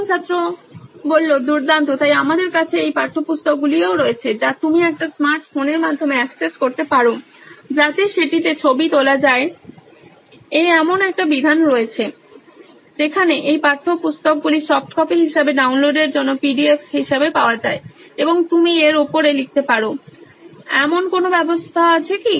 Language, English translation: Bengali, Great, so we also have these textbooks which you can access through a smart phone to take a picture in that, so is there a provision where these textbooks are available as soft copy as an as PDF for download and you can write on top of it, is there a provision…